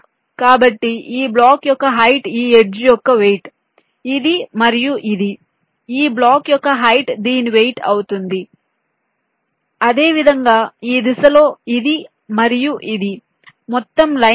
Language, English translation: Telugu, so the height of this block will be the weight of this edge, this and this, the height of the, this block will be the weight of this